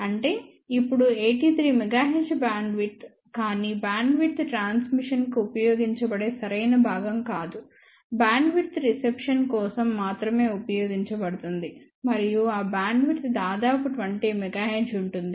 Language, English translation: Telugu, 483 gigahertz; now that means, bandwidth of 83 megahertz, but that is not really correct part of the bandwidth is only used for transmission part, of the bandwidth is only use for reception and that bandwidth is of the order of 20 megahertz